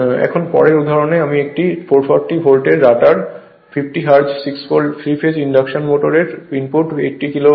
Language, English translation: Bengali, Now, next example the power input to the rotor of a 440 volt, 50 hertz 60 pole, 6 pole, your 3 phase induction motor is 80 kilo watt